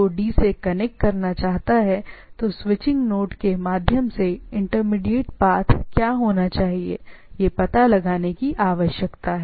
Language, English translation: Hindi, So, if a B wants come to connect to D what should be the path intermediate through the switching node, that need to be find out